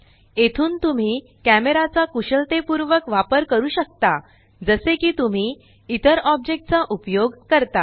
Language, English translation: Marathi, From here on, you can manipulate the camera like you would manipulate any other object